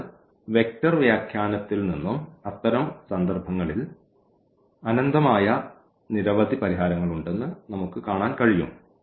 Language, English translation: Malayalam, So, from the vector interpretation as well we can see that there are infinitely many solutions in such cases